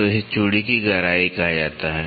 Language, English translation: Hindi, So, that is called as the depth of the thread